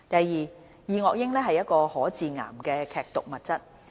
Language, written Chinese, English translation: Cantonese, 二二噁英是一類可致癌的劇毒物質。, 2 Dioxins are a group of highly toxic carcinogens